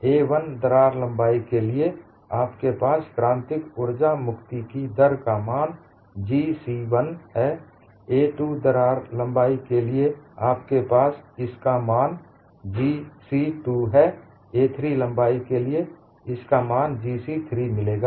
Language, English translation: Hindi, For the crack length of a 1, you will have the value of critical energy release rate as G c1; for crack length of a 2 you will have this as G c2; for crack length of a 3, you will have this as G c3